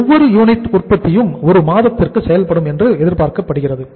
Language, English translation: Tamil, Each unit of production is expected to be in process for 1 month